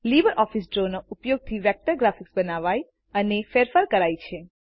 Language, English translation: Gujarati, LibreOffice Draw is a vector based graphics software